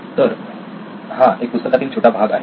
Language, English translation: Marathi, So this is a snapshot from the book